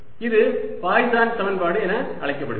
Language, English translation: Tamil, this is known as the poisson equation